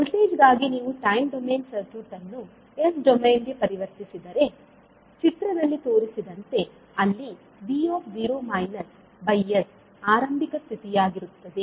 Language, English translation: Kannada, For voltage if you transform the time domain circuit into s domain, this will be as soon in the figure, where v naught by s would be the initial condition